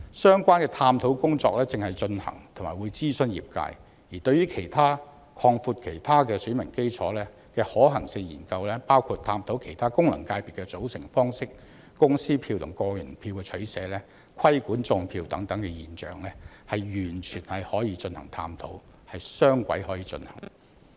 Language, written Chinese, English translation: Cantonese, 相關的探討工作正在進行中，並將會諮詢業界，而對於其他擴闊選民基礎的可行性研究，包括檢討其他功能界別的組成方式、公司票和個人票的取捨、規管"種票"現象等，完全可以進行探討，可以雙軌進行。, The relevant study is being conducted and the sector concerned will be consulted . Regarding the feasibility study on alternatives to broaden the electorate including reviewing the composition of other FCs making choices between corporate votes and individual votes and regulating vote - rigging studies can certainly be carried out . A dual - track approach can be adopted